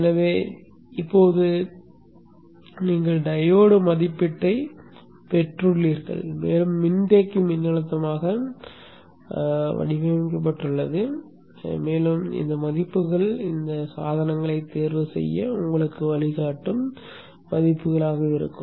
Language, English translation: Tamil, So like this now you have the diode rating and you also have the capacitor electrically designed and these values can be your guiding values for you to choose these devices